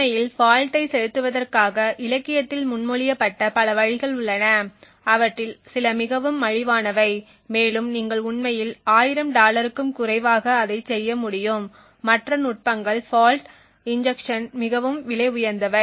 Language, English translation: Tamil, In order to actually inject the fault there have been several ways proposed in the literature some of them are extremely cheap and you could actually be able to do it with less than a 1000 dollars, while other techniques were fault injection are much more expensive